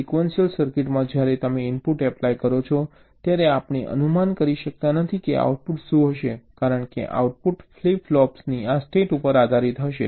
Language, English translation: Gujarati, now, in the sequential circuit, when you apply a input, we cannot predict what the output will be, because the output will be dependent on this state of the flip flops